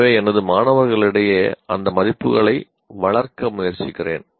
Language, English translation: Tamil, So I try to instill those values in my students